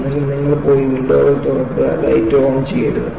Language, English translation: Malayalam, Either, you go and open the windows, do not switch on the light